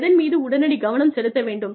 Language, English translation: Tamil, What needs, immediate attention